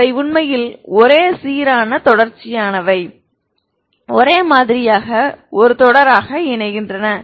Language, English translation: Tamil, They are actually and uniformly continuous, uniformly converging as a series